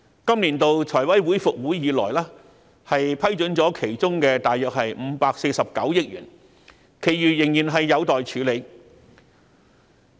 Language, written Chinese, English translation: Cantonese, 今年度財委會復會以來，批准了其中大約549億元，其餘仍然有待處理。, After FC resumed its meetings this year it has only approved about 54.9 billion the remaining amount is still pending for approval